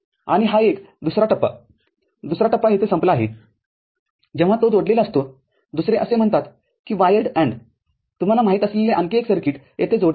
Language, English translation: Marathi, And, this one another stage, another stage is over here which is when it is connected another such say wired AND, you know another such circuit which is you know connected over here ok